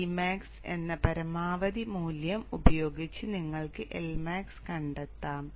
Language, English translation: Malayalam, This would be the value of the index and you can calculate the L max using maximum value of D max